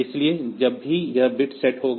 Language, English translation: Hindi, So, whenever this bit will be is set